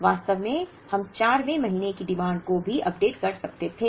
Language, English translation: Hindi, In fact, we could even have updated the demand for the 4th month